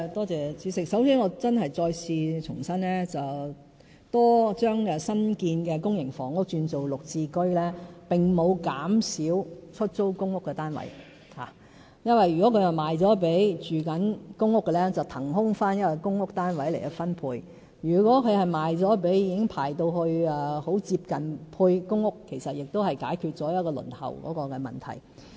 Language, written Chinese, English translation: Cantonese, 主席，首先我重申，將新建公營房屋轉為"綠置居"，並沒有減少出租公屋單位數目，因為如果這些房屋是售予公屋居民，便可以騰空一個公屋單位並重新分配，如果是售予接近獲編配公屋的人士，其實亦解決了部分輪候問題。, President first of all I must reiterate that transferring newly constructed public housing units to GSH will not reduce the number of PRH units . This is because if a unit thus transferred is sold to a sitting PRH tenant we will have one vacated PRH unit for reallocation; and if the unit is sold to a person who is about to be allocated a PRH unit the problem of waiting time can be partially relieved